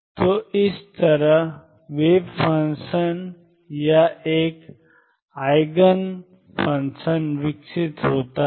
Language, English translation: Hindi, So, this is how wave function or an Eigen function evolves